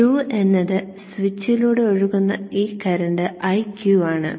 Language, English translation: Malayalam, So what is the current through the switch IQ